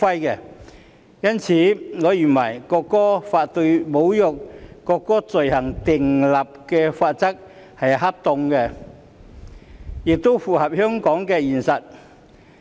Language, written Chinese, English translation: Cantonese, 因此，我認為《條例草案》對侮辱國歌罪行訂立的罰則是恰當的，亦符合香港的現實。, Therefore I consider the penalties for the offence of insulting the national anthem provided for in the Bill appropriate and consistent with the realities of Hong Kong